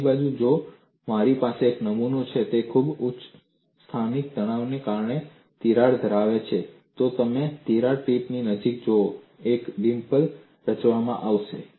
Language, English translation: Gujarati, On the other hand, if I have a specimen, which has a crack because of very high local stress, you will find near the crack tip, a dimple would be formed